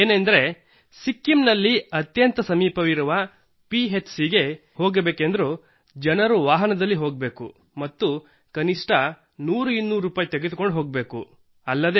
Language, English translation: Kannada, It was a great experience Prime Minister ji…The fact is the nearest PHC in Sikkim… To go there also people have to board a vehicle and carry at least one or two hundred rupees